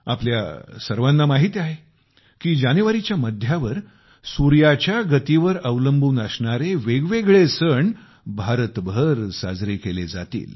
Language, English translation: Marathi, We all know, that based on the sun's motion, various festivals will be celebrated throughout India in the middle of January